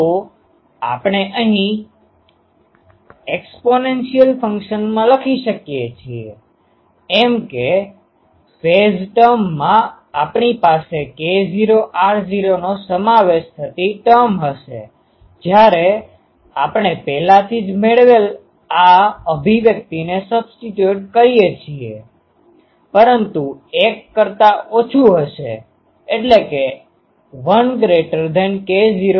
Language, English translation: Gujarati, So, this we can write here in the exponential function; that means, in the phase term we will have a term involving k naught r naught; when we substitute the already derived this expression, but k naught r naught will be less than 1